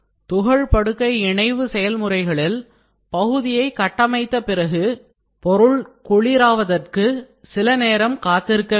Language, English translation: Tamil, Now, in powder bed fusion process, after the part is built it is typically necessary to allow the part to go through the cool down stage